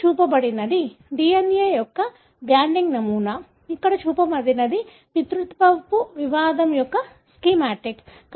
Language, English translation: Telugu, What is shown here is a banding pattern of DNA, shown here is schematic of a paternity dispute